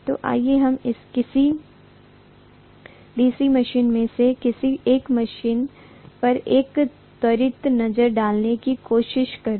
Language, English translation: Hindi, So let us try to take a probably quick look at one of the machines maybe a DC machine